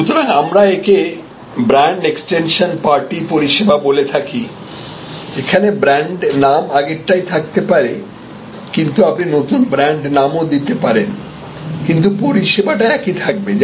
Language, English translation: Bengali, So, that is say kind of what we call brand extension party service, there can be with the same within the same brand, but you that can be different brand names, but same service existing service